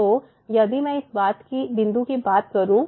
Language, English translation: Hindi, So, let me just come to this point